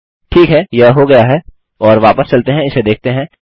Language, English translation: Hindi, Ok, thats done and lets go back and see that